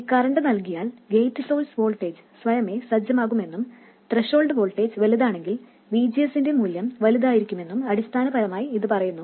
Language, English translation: Malayalam, It is basically saying that given this current, the gate source voltage will get set automatically, and that VGS value will be larger if the threshold voltage is larger, it will also be larger if current factor is smaller